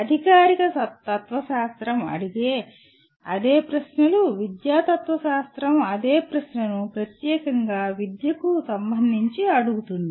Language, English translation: Telugu, The same questions that formal philosophy asks; educational philosophy asks the same question specifically with respect to the education